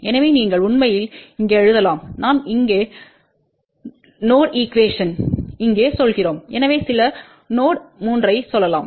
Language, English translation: Tamil, So, you can actually write here let us say here node equation here so which will be let us say some node 3